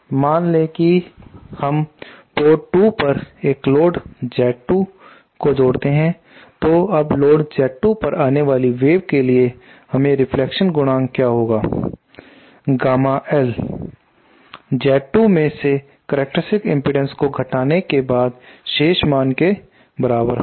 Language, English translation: Hindi, Suppose consider we add a load Z 2 at port 2 now what will be the reflection coefficient for a wave hitting the load Z 2, gamma l will be equal to Z 2 minus the characteristic impedance